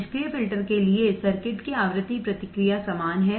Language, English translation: Hindi, The frequency response of the circuit is the same for the passive filter